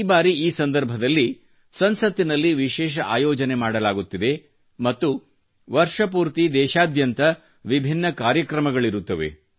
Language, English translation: Kannada, This occasion will be marked by a special programme in Parliament followed by many other events organised across the country throughout the year